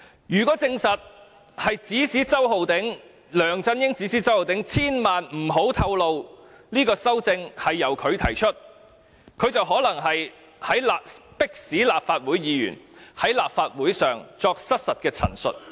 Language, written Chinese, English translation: Cantonese, 如果證實，梁振英指使周浩鼎議員，千萬不要透露修訂是他提出的，他便可能是迫使立法會議員在立法會上作失實陳述。, If it is confirmed that LEUNG Chun - ying had instructed Mr Holden CHOW not to disclose that the amendments were made by him he might have forced a Legislative Council Member to make a misrepresentation in the Legislative Council